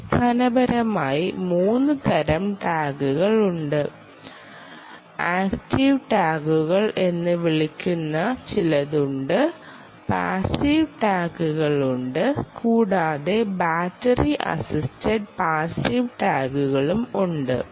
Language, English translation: Malayalam, there are basically three types of tags, right, there are something called active tags, there are passive tags and there are battery assisted passive tags